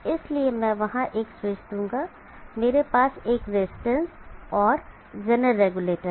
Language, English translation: Hindi, So I will provide a switch there, I have a resistance and designer regulator